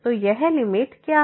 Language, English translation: Hindi, So, what is this limit